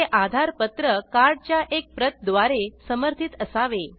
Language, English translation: Marathi, It should be supported by a copy of the AADHAAR card